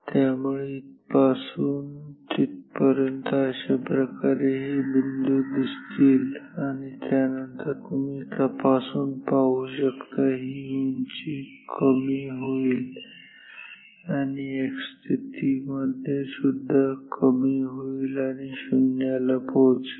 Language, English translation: Marathi, So, this is how the dot will go like and after that so, starting from here you see the height in decreases x position also decreases and comes to 0